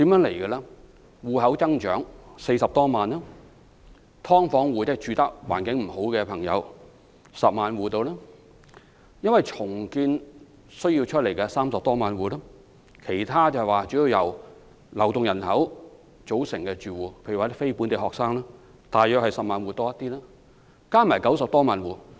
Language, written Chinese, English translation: Cantonese, 住戶數目增長40多萬；"劏房戶"，即居住環境欠佳人士約有10萬戶；因為重建而需要安置的人士約有30多萬戶；其他主要由流動人口組成的住戶，如非本地學生，則略多於10萬戶；合共90多萬戶。, Here it goes an increase of some 400 000 households; some 100 000 inadequately housed households; some 300 000 households pending rehousing due to redevelopment; and slightly more than 100 000 households which are mainly made up of mobile residents such as non - local students . They add up to 900 000 households or so